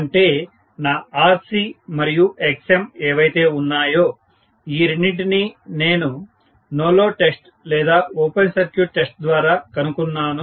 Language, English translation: Telugu, That is whatever is my Rc and Xm, that is it, these two are determined based on my no load test or open circuit test